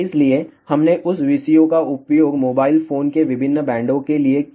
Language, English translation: Hindi, So, we had use that VCO for different bands of mobile phone